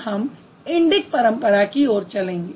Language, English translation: Hindi, Now let's look at how the Indic tradition works